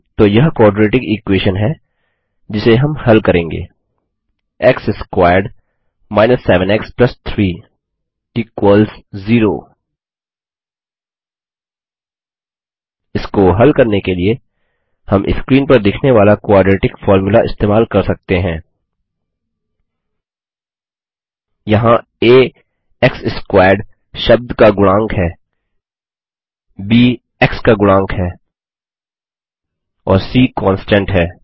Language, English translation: Hindi, So here is the quadratic equation we will solve, x squared 7 x + 3 = 0 To solve it, we can use the quadratic formula shown on the screen: Here a is the coefficient of the x squared term, b is the coefficient of the x term and c is the constant